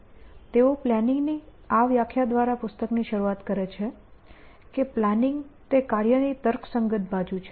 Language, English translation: Gujarati, They start the book by this definition of planning and they say it is the reasoning side of acting